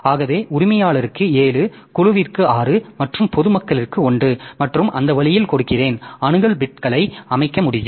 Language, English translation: Tamil, So, I give 7 to owners 6 to group and 1 to public and that way I can set the access bits